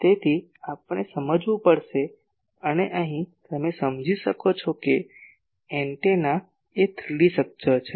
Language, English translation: Gujarati, So, we will have to understand the and here you understand that actually antenna is a 3 D structure